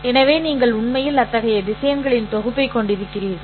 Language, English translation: Tamil, So you actually have a collection of such vectors